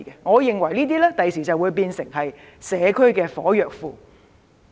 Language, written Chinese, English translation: Cantonese, 我認為這些地方將來會變成社區的"火藥庫"。, I believe that in the future these places would become powder kegs in the local communities